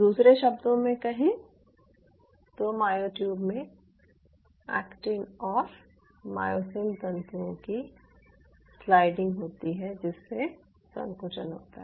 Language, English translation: Hindi, in other word, there will be a sliding motion of the actin and myosin filaments within the myotubes, leading to contraction